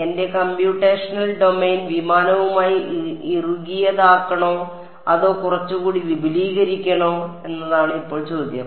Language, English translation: Malayalam, Now the question is where should I draw my computational domain should I just make it tightly fitting with the aircraft or should I expand it a bit right